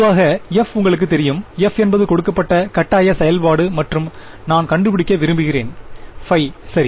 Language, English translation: Tamil, Typically, f is known to you, f is the given forcing function and I want to find out phi ok